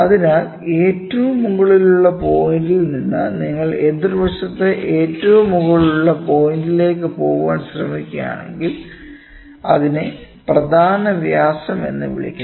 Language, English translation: Malayalam, So, from the topmost point, if you try to take to the opposite side topmost point so, that is called as a major diameter so, major diameter